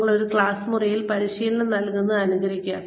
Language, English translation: Malayalam, Simulate, if you are imparting training in a classroom